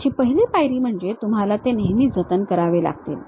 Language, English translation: Marathi, The first step is you always have to save it